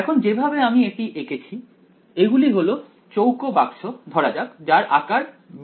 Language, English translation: Bengali, Now this the way I have drawn these are square boxes of let us say size b